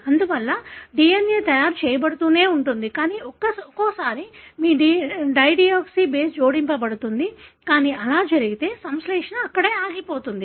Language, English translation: Telugu, Therefore the DNA continues to be made, but once in a while your dideoxy base will be added, but if that happens the synthesis would stop there